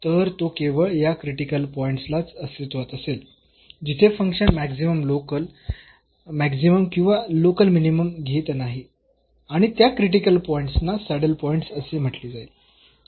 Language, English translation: Marathi, So, that will exist only at these critical points, but there will be some critical points, where the function is not taking the maximum the local maximum or the local minimum and those critical points will be called as saddle point